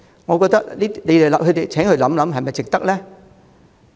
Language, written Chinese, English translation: Cantonese, 我請他們想一想，這樣做是否值得呢？, I beg them to have a think Is it worthwhile to do so?